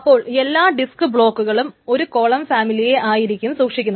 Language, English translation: Malayalam, So every disk block stores only a single column family